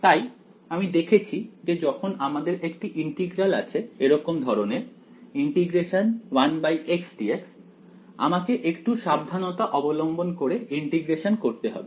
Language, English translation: Bengali, So, we have seen that when we have integral of the form 1 by x dx, I have to do the integration little bit carefully